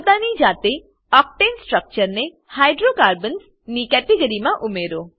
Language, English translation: Gujarati, Add Octane structure to Hydrocarbons category, on your own